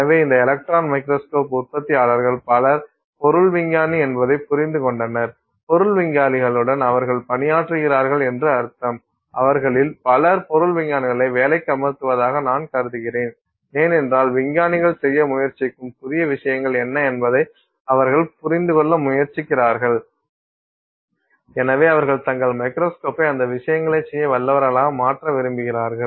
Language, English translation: Tamil, So, it turns out many of these electron microscope manufacturers have understood that material scientists, I mean they work with material scientists, many of them are, I mean they employ material scientists because they are seeing, trying understand what are new things that you know scientists are trying to do and therefore they would like to make their microscope capable of doing those things so there are a lot of people who would like to do in situ in the electron microscope tensile testing so therefore the microscope manufacturers have created stages where you can control various things on the sample